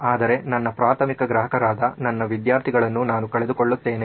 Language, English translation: Kannada, but I lose out on my primary customer who is my student